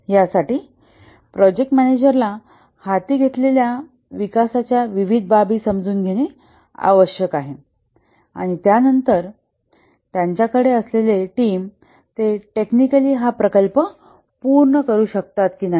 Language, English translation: Marathi, For this, the project manager needs to understand various aspects of the development to be undertaken and then assesses whether the team that he has, whether they can technically complete this project